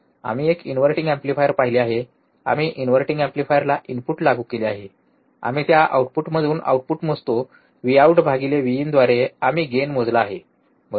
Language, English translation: Marathi, So, for now, let us quickly recall what we have seen we have seen inverting amplifier, we have applied the input at a inverting amplifier, we measure the output from that output, V out by V in, we have measured the gain, right